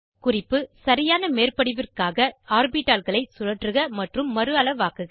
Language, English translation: Tamil, * Hint: Rotate and resize the orbitals for proper overlap